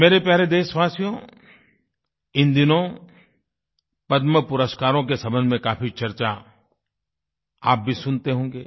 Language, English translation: Hindi, My dear countrymen, these days you must be hearing a lot about the Padma Awards